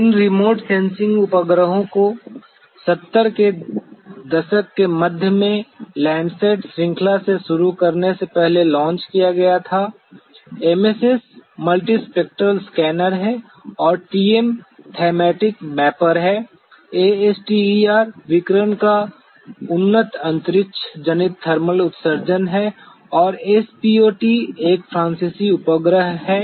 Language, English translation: Hindi, These remote sensing satellites were launched way back in the mid 70’s starting from the LANDSAT series, the MSS is the Multispectral Scanner and the TM is the Thematic Mapper, ASTER is the advanced space borne thermal emission of radiation radiometry and SPOT is a French satellite